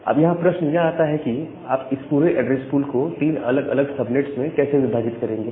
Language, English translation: Hindi, So, the question comes that how will you divide this entire address pool into three different subnets